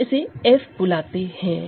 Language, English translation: Hindi, So, it divides f X also